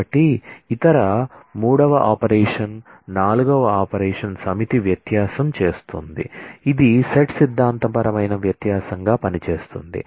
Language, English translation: Telugu, So, other the 3rd operation is the a 4th operation is doing a set difference it is works simply as set theoretic difference